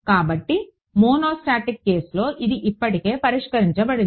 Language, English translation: Telugu, So, in a monostatic case it is already fixed